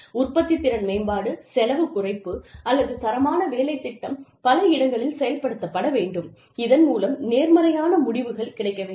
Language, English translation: Tamil, Productivity improvement, cost reduction, or quality work life program, should be implemented in many locations, and should achieve positive results